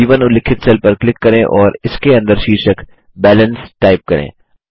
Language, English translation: Hindi, Click on the cell referenced as B1 and type the heading BALANCE inside it